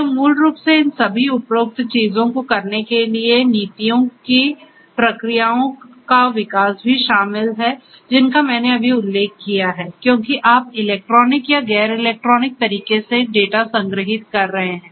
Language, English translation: Hindi, This basically also includes development of policies procedures to do all these above things that I mentioned just now either you are storing the data in electronic or non electronic manner and so on